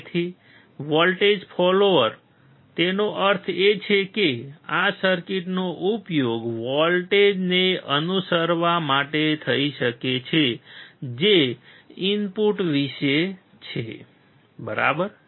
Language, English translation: Gujarati, So, voltage follower; that means, this circuit can be used to follow the voltage which is about the input, right